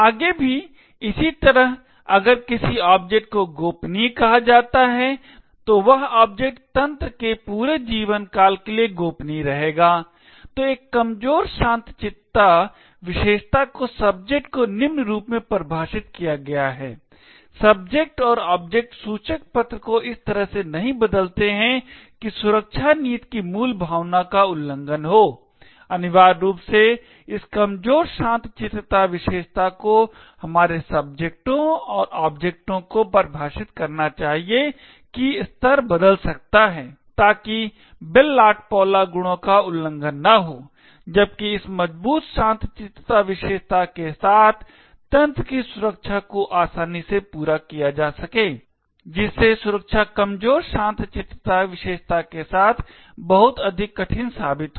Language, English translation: Hindi, Further similar way if an object is defined as say confidential then the object will remain confidential for the entire lifetime of the system, so a weaker tranquillity property is defined as follows subject and objects do not change label in a way that violates the spirit of the security policy, essentially this Weak Tranquillity property should define our subjects and objects can change levels so that the Bell LaPadula properties are not violated, while proving the security of the system with this Strong Tranquillity property in be easily done, proving the security with Weak Tranquillity property becomes much more difficult